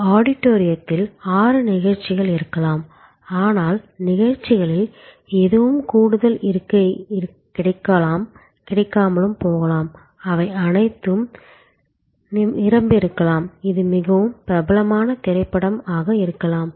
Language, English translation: Tamil, There may be six shows at an auditorium, but there may be none of the shows may have any extra seat available, they may be all full, if it is a very popular movie